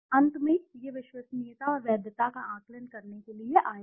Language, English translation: Hindi, Finally to assess the reliability and validity